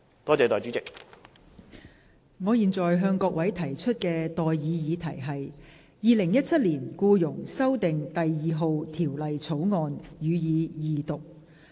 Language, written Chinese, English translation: Cantonese, 我現在向各位提出的待議議題是：《2017年僱傭條例草案》，予以二讀。, I now propose the question to you and that is That the Employment Amendment No . 2 Bill 2017 be read the Second time